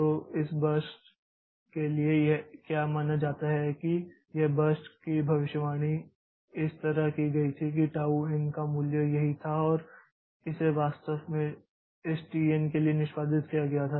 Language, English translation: Hindi, So, so for this burst so what was so suppose this burst was predicted like this that was the value of tau and it actually executed for now this tn